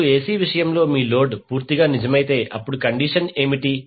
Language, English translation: Telugu, Now, in case of AC if your load is purely real what would be the condition